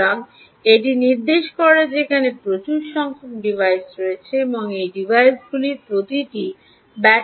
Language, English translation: Bengali, so all that indicates that there will be huge number of devices and each of these devices are powered using batteries